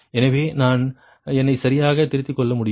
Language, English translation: Tamil, so such that i can rectify myself right